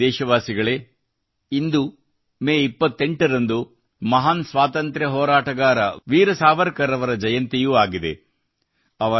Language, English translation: Kannada, My dear countrymen, today the 28th of May, is the birth anniversary of the great freedom fighter, Veer Savarkar